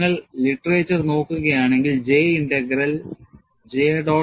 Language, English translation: Malayalam, And if you look at the literature, the J Integral is credited to J